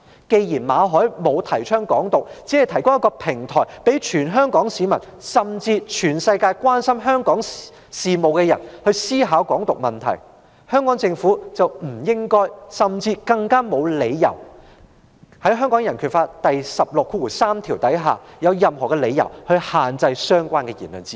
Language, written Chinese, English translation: Cantonese, 既然馬凱沒有提倡"港獨"，只是提供一個平台，讓全港市民，甚至所有關心香港事的人思考"港獨"問題，香港政府便不應該也沒有理由限制言論自由，《香港人權法案條例》第163條也沒有訂明限制言論自由的任何理由。, Since Victor MALLET has not advocated Hong Kong independence and he has only provided a platform for all Hong Kong people as well as those who are concerned about Hong Kong to think about the issue of Hong Kong independence the Hong Kong Government should not and has no reason to restrict freedom of speech . Article 163 of the Hong Kong Bill of Rights Ordinance has not stipulated any reasons for restricting freedom of speech